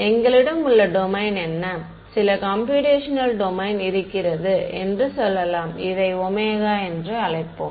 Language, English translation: Tamil, What is the domain that we have, let us say some this is a computational domain, let us call it capital omega ok